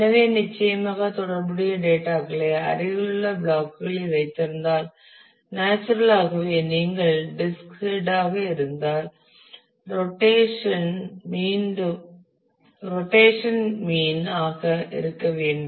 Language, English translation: Tamil, So, certainly if the related data are kept in nearby blocks then naturally you are disk head and the rotation will have to be mean will get minimized